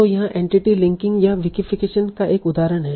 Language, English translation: Hindi, So here is one example of entity linking or vacification as such